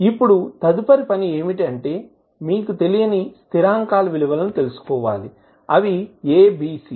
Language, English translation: Telugu, Now, next task is that you need to find out the value of the unknown constants which are A, B, C